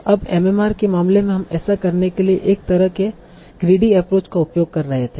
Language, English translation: Hindi, Now in the case of MMR we were using a sort of greedy approach for doing that